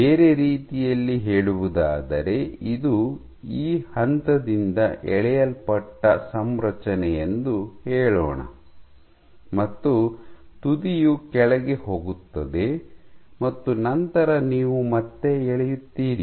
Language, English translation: Kannada, In other words, let’s say this is a pulled configuration from this point the tip goes down and then you again pull